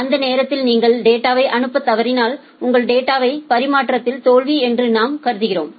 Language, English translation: Tamil, If you fail to send the data by that time then your transfer your data transfer we consider to be failure